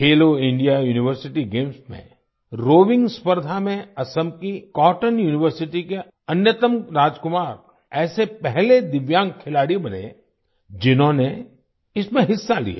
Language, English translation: Hindi, In the rowing event at the Khelo India University Games, Assam's Cotton University's Anyatam Rajkumar became the first Divyang athlete to participate in it